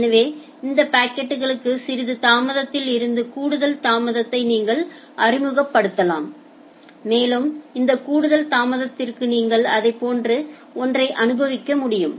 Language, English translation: Tamil, So, you can introduce some delay to additional delay to those packets and to this additional delay you can experience something more similar to that